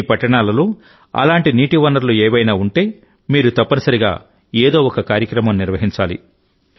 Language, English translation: Telugu, Whichever water sources are there in your cities, you must organize one event or the other